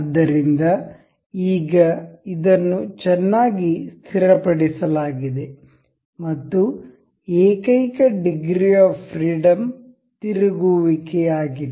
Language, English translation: Kannada, So, now, this is very well fixed, and the only degree of freedom remains the rotation